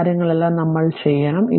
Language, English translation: Malayalam, All these things we have to do it right